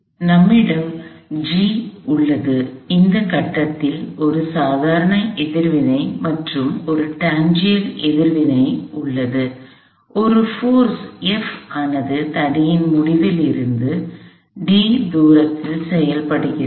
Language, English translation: Tamil, So, we have G and at this point, there is a normal reaction and a tangential reaction, a force F is acting a distance d from the end of the rod